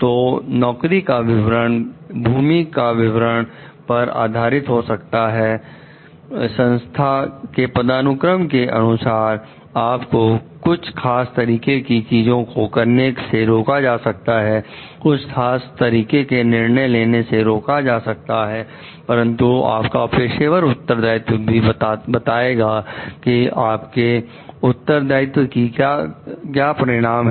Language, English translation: Hindi, So, the job description based on maybe the role description, the hierarchy the organization that you are in may restrict you from doing certain acts taking certain decisions and but your professional responsibilities may also tell what are your degrees of responsibilities